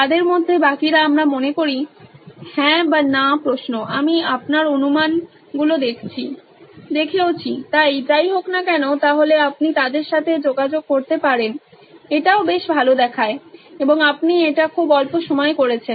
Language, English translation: Bengali, Rest of them are I think yes or no questions, I have been looked at your assumptions, so anyway so then you can make them interact with this also looks quite good and you did it in very short amount of time